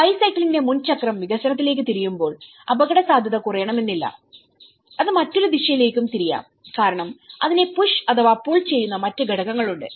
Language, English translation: Malayalam, Well bicycle, when the front wheel rotates to the development not necessarily the vulnerability is reduced, it may turn in the other direction too, because there are other factors which are the push and pull factors to it